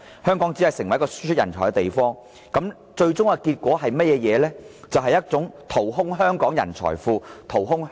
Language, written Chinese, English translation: Cantonese, 香港只會成為一個輸出人才的地方，最終結果是淘空香港的人才庫和經濟。, Hong Kong will only become an exporter of talents and this will hollow out Hong Kongs pool of talents and economy